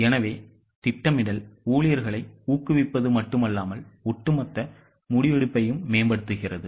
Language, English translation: Tamil, So, planning not only motivates the employees, it also improves overall decision making